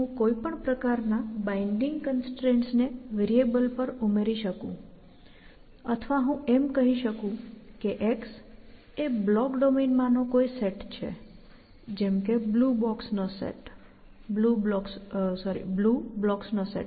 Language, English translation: Gujarati, I could add any kind of a constraint binding constraint to variable essentially or I could say that x belongs to some domain of let us say block set I have; let say blue block set or something like that